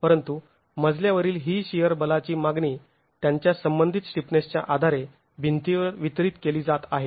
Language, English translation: Marathi, But this shear force demand onto a story is going to be distributed to the walls based on their relative stiffness